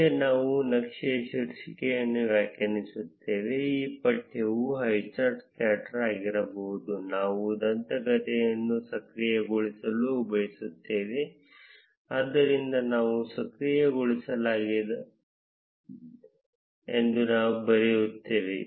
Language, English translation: Kannada, Next, we would define the title of the chart and the text can be highcharts scatter, we would want to enable the legend, so we would write enabled as true